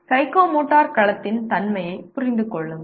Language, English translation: Tamil, Understand the nature of psychomotor domain